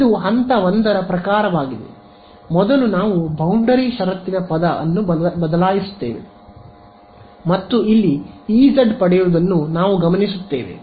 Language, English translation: Kannada, So, I am just this is sort of step 1 first we just change the boundary condition term and we notice that I get a E z over here ok